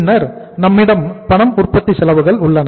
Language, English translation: Tamil, This is the cash manufacturing cost